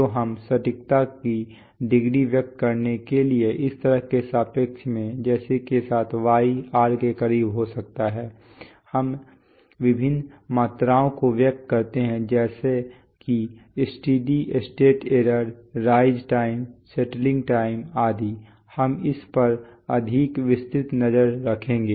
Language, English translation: Hindi, So we, with respect to this kind of set points to express the degree of accuracy with which, y can be close to r, we express various quantities like the steady state error, rise time, settling time, etc, we will have a more detailed look at these